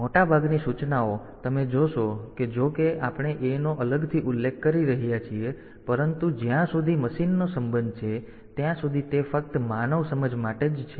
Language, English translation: Gujarati, So, most of the instruction you will find that though we are mentioning A separately, but that is only for human understanding as far as the machine is concerned